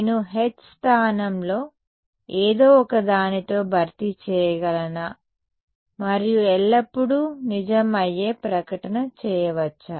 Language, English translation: Telugu, Can I replace H by something and make a statement that will always be true